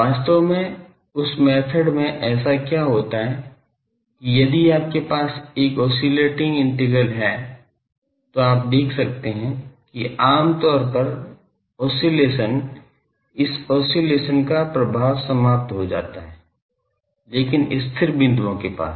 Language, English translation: Hindi, Actually, in that method what happens that if you have an oscillating integral, you can see that generally, the oscillation, the effect of this oscillation, cancels out, but near the stationary points